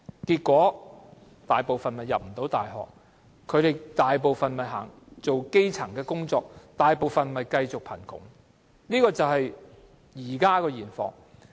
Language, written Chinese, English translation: Cantonese, 結果，大部分學生未能入讀大學，只能從事基層工作，大部分人繼續貧窮，現況就是這樣。, As a result most of them cannot study in universities but can only take up elementary jobs and most of them continue to live in poverty . This is the current situation